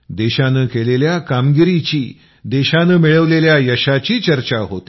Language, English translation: Marathi, there is talk of the achievements of the country